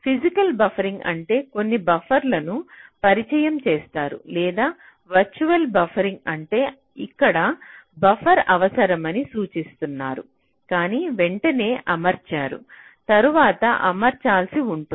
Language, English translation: Telugu, physical buffering means you introduce some buffers, or virtual buffering means you indicate that here you may require a buffer, but you do not introduce right away, you may need to introduce later